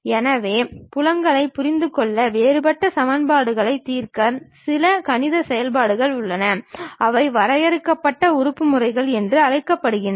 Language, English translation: Tamil, So, there are certain mathematical processes to solve differential equations to understand the fields, which we call finite element methods